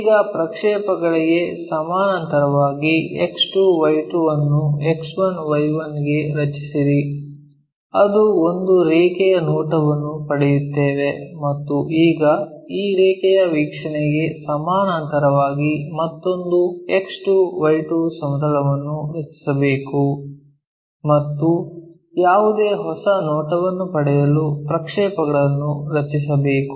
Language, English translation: Kannada, Now, draw X 2, Y 2 again parallel to this project all this line to X 1, Y 1 which we will get a line view and now, draw another XY X 2, Y 2 plane parallel to this line view and project whatever the new view we got it